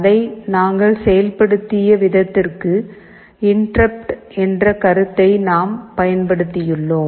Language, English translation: Tamil, The way we have implemented it in our program is that we have used the concept of interrupt